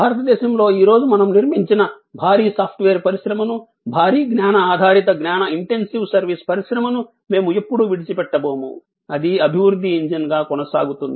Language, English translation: Telugu, We are never going to discount the huge software industry, the huge knowledge based knowledge intensive service industry, that we have build up today in India, that will continue to be a growth engine